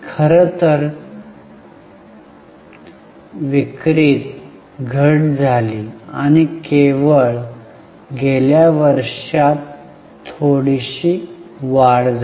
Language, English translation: Marathi, In fact there was a decrease in the sales and only in the last year there is a slight rise